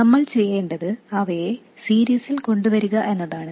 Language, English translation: Malayalam, All we have to do is put them in series